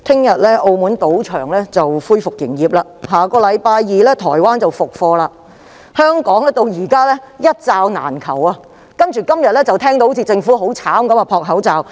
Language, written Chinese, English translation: Cantonese, 主席，澳門的賭場將於明天恢復營業，台灣亦會在下星期二復課，但香港現時仍然"一罩難求"，今天依然聽到政府在搶購口罩。, President while casinos in Macao will resume operations tomorrow and classes in Taiwan will resume next Tuesday Hong Kong is still suffering from a severe shortage of face masks . Today we continue to hear that the Government is scrambling for face masks